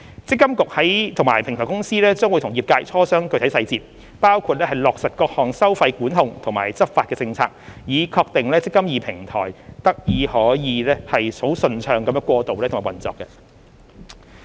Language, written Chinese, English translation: Cantonese, 積金局及平台公司將與業界磋商具體細節，包括落實各項收費管控及執法政策，以確定"積金易"平台得以順暢地過渡和運作。, MPFA and the Platform Company will discuss with the industry the specific details including the implementation of various fee control and enforcement policies to ensure the smooth transition and operation of the eMPF Platform